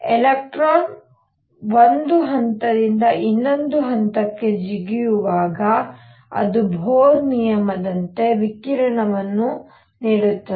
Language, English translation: Kannada, When an electron makes a jump from one level to the other it gives out radiation by Bohr’s rule